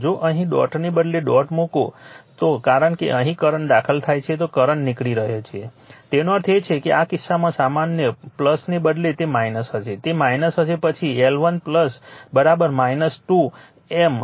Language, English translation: Gujarati, If you put instead of dot here if you put dot because here current is entering then current is leaving; that means, in that case general instead of plus it will be minus, it will be minus then L 1 plus L 2 minus 2 M